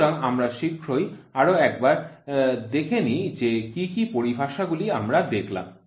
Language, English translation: Bengali, So, let me quickly recap what are the terminologies we saw